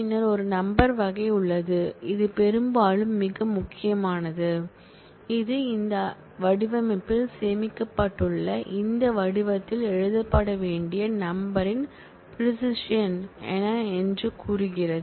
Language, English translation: Tamil, Then there is a numeric type which is often very important, which says what is the precision of the numbers that are to be written in this format stored in this format